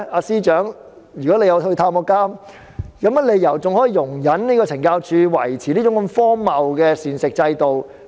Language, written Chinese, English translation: Cantonese, 司長，如你曾到監獄探訪，怎可能容忍懲教署維持這種荒謬的膳食制度？, Secretary if you have made visits to the prisons how could you tolerate such a ridiculous meal system of CSD?